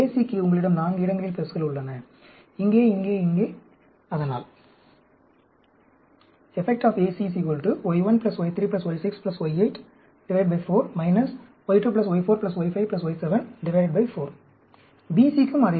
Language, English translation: Tamil, So, you have 4 places where you have pluses, here, here, here, here